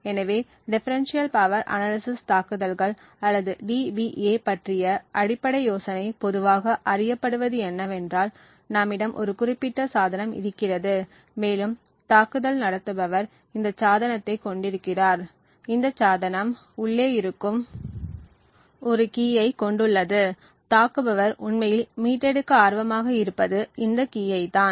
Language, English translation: Tamil, So, the basic idea of Differential Power Analysis attacks or DPA as it is commonly known as is that we have a particular device over here and the assumption is the attacker has this device and this device has a key which is present inside, so this secret key is what the attacker is interested to actually retrieve